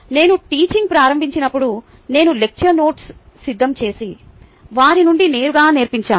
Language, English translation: Telugu, when i started teaching, i prepared lecture notes and then taught